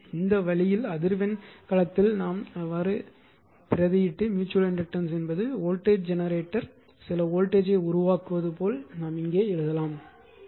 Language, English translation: Tamil, So, this way you can replace in frequency domain you can written here mutual inductance and your voltage generator as if it is make you generating some voltage right